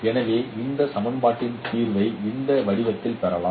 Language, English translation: Tamil, So there is a solution for this equation